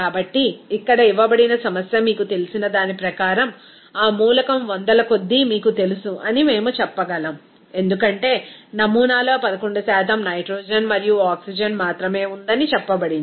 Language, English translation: Telugu, So, we can say that here it will be close to you know that element by hundred as per you know given problem here because it is told that in the sample only containing 11% of nitrogen and oxygen there